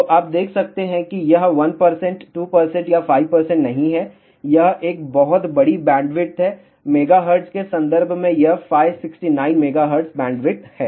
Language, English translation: Hindi, So, you can see that it is not 1 percent, 2 percent, or 5 percent it is a very large bandwidth and in terms of megahertz it is 569 megahertz bandwidth